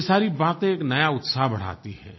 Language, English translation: Hindi, All these things adds to enthusiasm